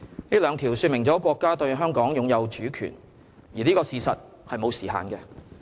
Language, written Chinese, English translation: Cantonese, 這兩條說明了國家對香港擁有主權，而這個事實是沒有時限的。, The two articles point clearly to our countrys sovereignty over Hong Kong which is a fact that has no time limit